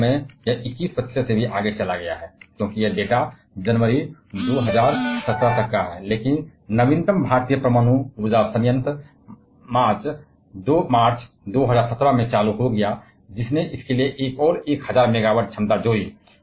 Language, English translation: Hindi, In fact, this 21 percent has gone even further because this data is till January 2017, but the latest Indian power nuclear power plant went operational in March 2017; which added another 1000 megawatt capacity to this